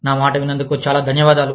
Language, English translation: Telugu, Thank you, very much, for listening to me